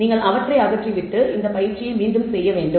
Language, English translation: Tamil, You remove them and then you actually have to redo this exercise